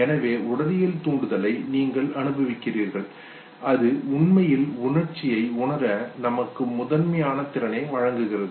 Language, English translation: Tamil, So you experience the physiological arousal okay, which actually provides the primary strength to perceive an emotion